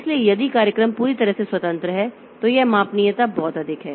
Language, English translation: Hindi, So, if the programs are totally independent then this scalability is pretty high